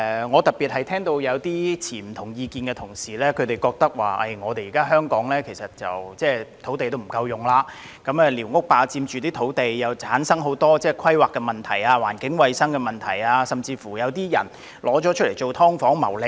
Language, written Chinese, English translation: Cantonese, 我特別聽到持不同意見的同事指出，香港現時土地不足，寮屋霸佔土地，同時產生很多規劃及環境衞生問題，甚至有人將寮屋用作"劏房"謀利。, In particular I have heard Members with different views point out that amidst the existing land shortage in Hong Kong squatter structures occupy our land and cause various planning and environmental hygiene problems at the same time and some people have even altered their squatter structures into subdivided units in order to make some profits